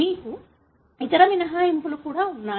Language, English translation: Telugu, You also have other exceptions